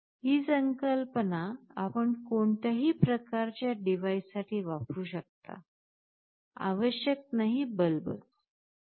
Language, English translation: Marathi, This concept you can use for any kind of device, not necessary a bulb